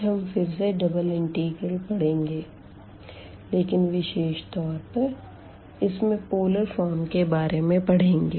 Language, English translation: Hindi, And today we will again continue with this double integrals, but in particular this polar form